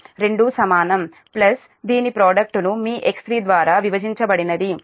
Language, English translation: Telugu, both are equal plus product of this two divided by your x three